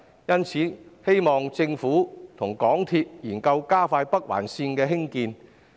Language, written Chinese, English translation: Cantonese, 因此，我希望政府與港鐵公司研究加快北環綫的興建。, Thus I hope that the Government and MTR Corporation Limited will explore speeding up the construction of the Northern Link